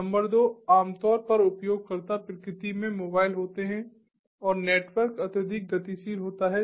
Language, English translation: Hindi, number two: typically the users are mobile in nature and the network is highly dynamic